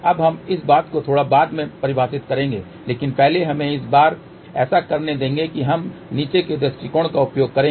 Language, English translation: Hindi, Now, we will define this thing little later on but first let us just do this time we will use a bottom up approach